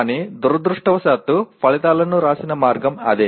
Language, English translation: Telugu, But that is the way unfortunately many times the outcomes are written